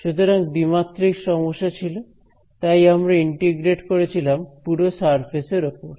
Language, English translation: Bengali, So, 2D problem so, we had integrated over the whole surface right